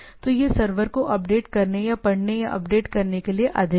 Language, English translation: Hindi, So, it is more of a updating or reading or updating the server